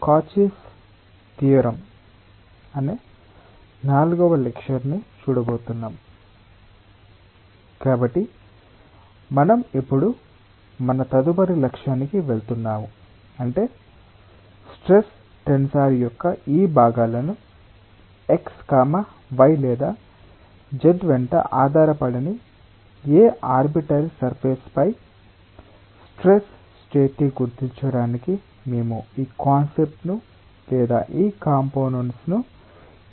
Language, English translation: Telugu, so we will now go to our next objective, that is, given this components of the stress tensor, how we may utilize these concepts or these components to designate the state of stress on any arbitrary surface which is neither oriented along x, y or zee